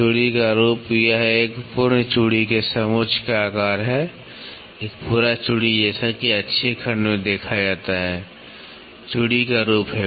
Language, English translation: Hindi, Form of thread, it is the shape of the contour of one complete thread, one complete thread as seen in an axial section is the form of thread